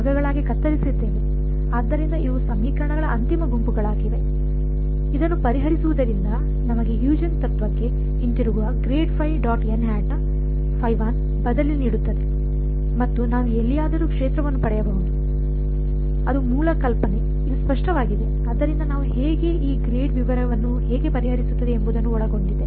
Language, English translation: Kannada, So, these are the final sets of equations, solving this gives us grad phi dot n hat phi 1 substitute that back into Huygens principle and I can get the field anywhere, I want that is the basic idea is this clear So, to how do we go about will cover how will solve this grad detail